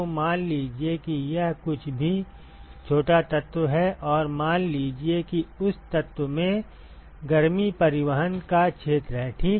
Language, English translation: Hindi, So, supposing if it is deltax some whatever small element and let us assume that the area of heat transport in that element ok